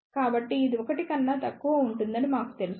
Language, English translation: Telugu, So, we know that this will be less than 1